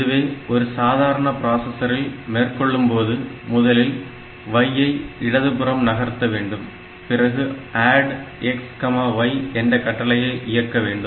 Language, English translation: Tamil, So, if normal processor, first of all you have to do a shift left y and then you have to say like add x comma y